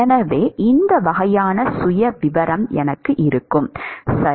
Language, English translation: Tamil, So, this is the kind of profile I will have, right